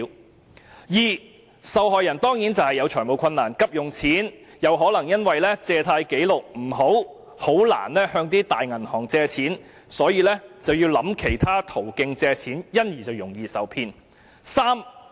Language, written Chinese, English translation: Cantonese, 第二，受害人有財務困難而急需借錢，卻可能因為借貸紀錄不良而難以向大型銀行借貸，所以要考慮其他途徑借貸，因而容易受騙。, Second those victims in urgent need of loans due to financial difficulties may find it difficult to secure loans from large banks given their adverse credit records . As a result they have to consider seeking loans from other sources thus rendering them easy prey for frauds